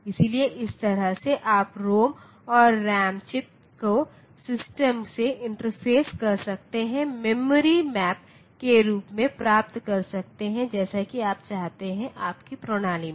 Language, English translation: Hindi, So, this way you can you can interface ROM and RAM chips to a system for getting the whole design memory getting, the memory map as you desire for your system